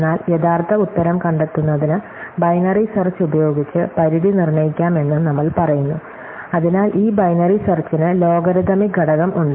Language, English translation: Malayalam, But we also say that the bound could then be exercised using binary search in order to find the actual answer, so this binary search has the logarithmic factor